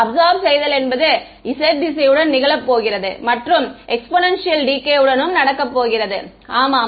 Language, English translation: Tamil, The absorption is going to happen along this it is the exponential decay along the z direction yeah